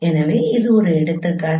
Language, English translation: Tamil, So this is one example